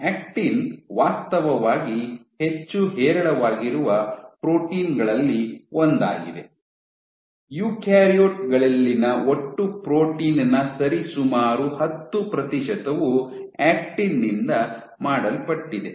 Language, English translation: Kannada, Actin actually one of the most abundant proteins, one of the most abundant proteins, so roughly so, 10 percent of the total protein in eukaryotes is made of actin